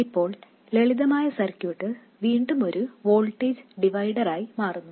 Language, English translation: Malayalam, It turns out that the simplest circuit is again a voltage divider